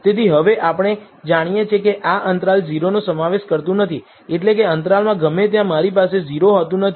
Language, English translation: Gujarati, So now, we know that, this interval does not encompass 0, that is, anywhere between the interval I do not have 0